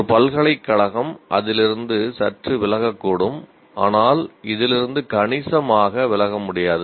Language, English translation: Tamil, A university may slightly deviate from that but cannot deviate significantly from this